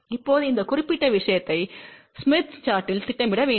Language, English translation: Tamil, Now, we need to plot this particular thing on the smith chart